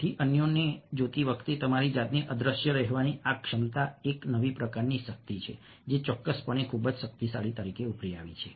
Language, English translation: Gujarati, so this ability to be invisible yourself while watching others is a new kind of a power which has certainly emerged as very, very powerful